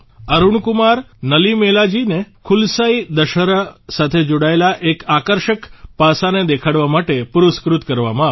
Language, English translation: Gujarati, Arun Kumar Nalimelaji was awarded for showing an attractive aspect related to 'KulasaiDussehra'